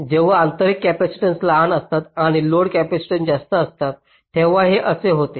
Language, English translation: Marathi, this is for the case when the intrinsic capacitance are small and the load capacitance is larger